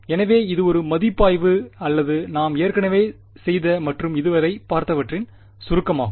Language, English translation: Tamil, So, it is just a review or a summary of what we have already done and seen so far ok